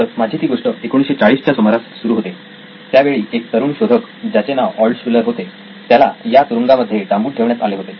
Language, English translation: Marathi, So my story starts here 40’s, 1940’s a young inventor by name Altshuller was imprisoned in this prison